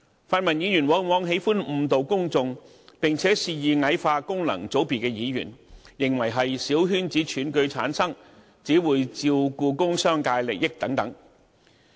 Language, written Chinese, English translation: Cantonese, 泛民議員往往喜歡誤導公眾，並肆意矮化功能界別議員，認為他們由小圈子選舉產生，只會照顧工商界利益等。, The pan - democratic Members tend to mislead the public as they very often belittle Members returned by functional constituency malevolently saying that these Members care only about the interest of the business sector as they are returned by small circle election